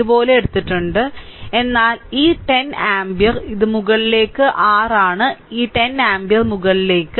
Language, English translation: Malayalam, So, we have taken like this, but this 10 ampere it is your upwards this 10 ampere is upward